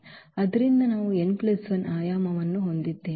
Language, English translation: Kannada, So, we have the dimension n plus 1